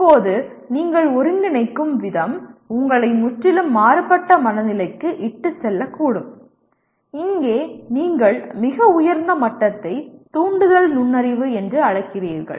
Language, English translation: Tamil, Now the way you integrate may lead you to a completely different mindset, here what you are calling the highest level as inspirational insight